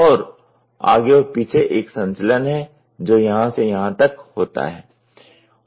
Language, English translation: Hindi, And, there is a back and forth movement which happens from here to here